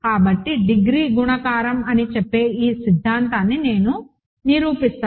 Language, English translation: Telugu, So, let me prove this theorem this says that degree is multiplicative